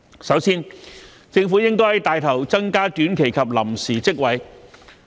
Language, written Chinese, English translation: Cantonese, 首先，政府應帶頭增加短期及臨時職位。, First the Government should take the lead in increasing short - term and temporary posts